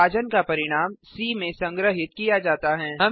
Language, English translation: Hindi, The result of division is stored in c